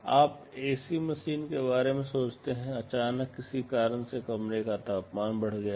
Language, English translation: Hindi, You think of ac machine, suddenly due to some reason the temperature of the room has gone up